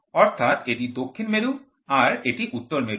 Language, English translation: Bengali, So, this is south this is north